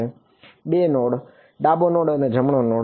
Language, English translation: Gujarati, 2 nodes: a left node and a right node ok